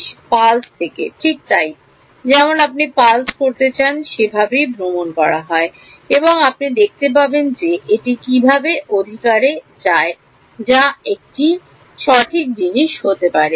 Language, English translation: Bengali, From a pulse right so, like you want to pulse is traveling and you would see how it goes in rights that can be one thing right